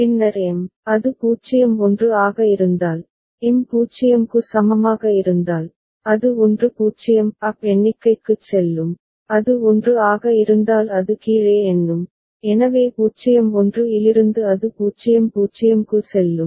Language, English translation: Tamil, Then M, if it is at 0 1, M is equal to 0, it will go to 1 0 up count and if it is 1 it is down count, so from 0 1 it will go to 0 0